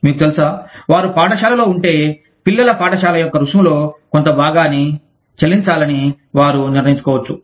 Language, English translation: Telugu, You know, if they are in school, then they may decide, to pay a portion of the fees, of the children's school